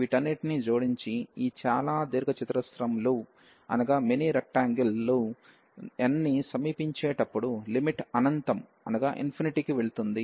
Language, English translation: Telugu, Adding all these and then taking the limit as n approaches to the number of these rectangles goes to infinity